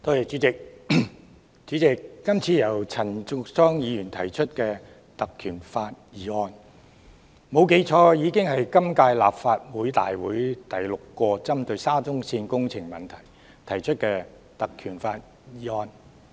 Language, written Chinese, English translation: Cantonese, 主席，今次由陳淑莊議員根據《立法會條例》動議的議案，如果沒有記錯，已經是今屆立法會大會第六次針對沙中線工程問題而根據《條例》提出的議案。, President this motion moved by Ms Tanya CHAN under the Legislative Council Ordinance if my memory has not failed me is the sixth one proposed under PP Ordinance in the current - term Legislative Council on the Shatin to Central Link SCL project